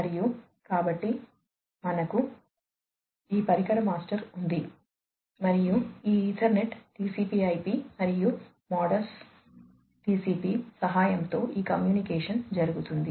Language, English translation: Telugu, And, so, we have this device master and this communication will be taking place, with the help of this Ethernet TCP/IP, and Modbus TCP